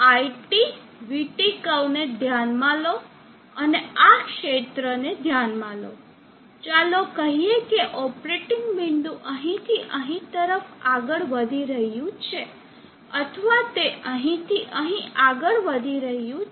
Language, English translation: Gujarati, Consider this IT, VT curve, and consider this region, let us say the operating point is moving from here to here, or it moving from here to here